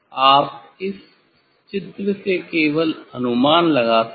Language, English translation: Hindi, this just from the figure you can guess